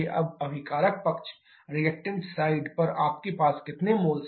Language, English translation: Hindi, Now on the reactant side how many number of moles you have